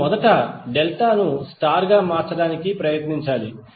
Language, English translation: Telugu, We have to first try to convert delta into star